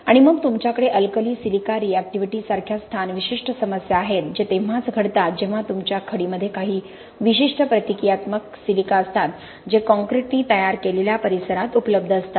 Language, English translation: Marathi, And then you have more location specific problems like alkali–silica reactivity which happens only when you have some specific strains of reactive silica in your aggregate which is available in the locality that the concrete has manufactured